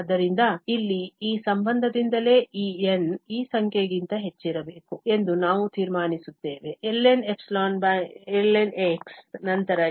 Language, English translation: Kannada, So, here, from this relation itself we conclude that this n has to be greater than this number, ln divided by ln, then only this relation holds true